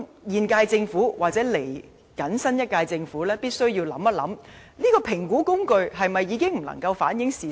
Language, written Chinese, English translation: Cantonese, 現屆政府及新一屆政府必須細想，這評估工具是否已經不能反映事實？, The incumbent Government and the new Government must contemplate if such an assessment tool can no longer reflect the facts